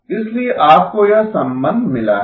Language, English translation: Hindi, So therefore you have this relationship